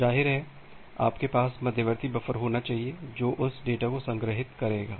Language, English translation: Hindi, Oobviously, you need to have intermediate buffer which will store that data